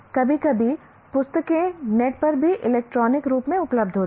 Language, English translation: Hindi, Sometimes even books are available in electronic form free on the net